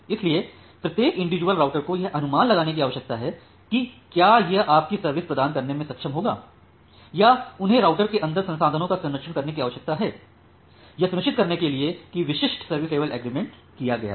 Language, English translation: Hindi, So, every individual router need to make an estimate whether it will be able to provide your service or they need to do a prereservation of resources inside the routers, to ensure that that specific service level agreement is made